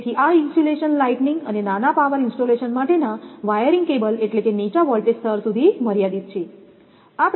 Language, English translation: Gujarati, So, this insulation is limited to wiring cables for lighting and minor power installation that mean a low voltage level